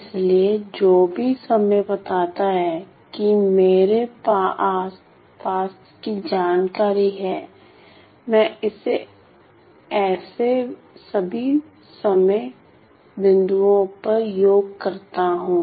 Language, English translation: Hindi, So, whatever time points that I have the information I sum it over all such time points